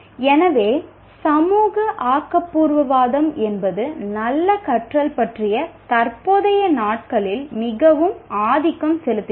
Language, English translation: Tamil, So social constructivism plays a very dominant role in present days considerations of good learning